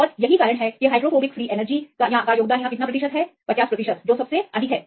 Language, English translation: Hindi, And this is the reason why this value of more than 50 percent in the case of the hydrophobic free energy